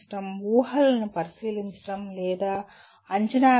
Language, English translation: Telugu, Examining or evaluating assumptions